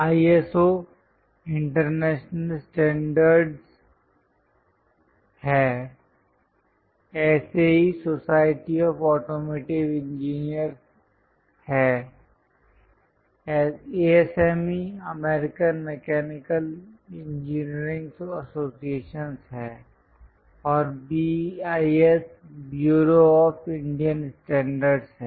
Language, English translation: Hindi, ISO is International Standards, SAE is Society of Automotive Engineers, ASME is American Mechanical engineering associations and BIS is Bureau of Indian Standards